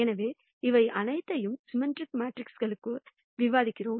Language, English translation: Tamil, We are discussing all of this for symmetric matrices